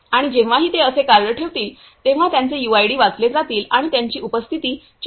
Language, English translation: Marathi, And whenever they will place this card like this so, their UIDs will be read and their attendance will be marked